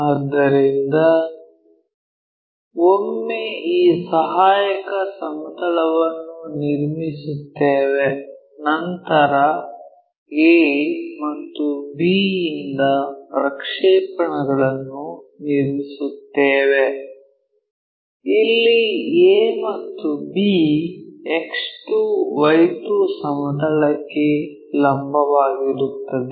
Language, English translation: Kannada, So, once we construct this auxiliary plane, draw the projections from a and b; a and b, perpendicular to X 2 Y 2 plane